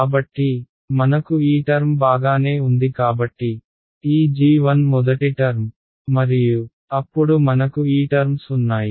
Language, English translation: Telugu, So, I had alright so this term over here so, g 1 that was the first term and then I had a these were the terms that we had some right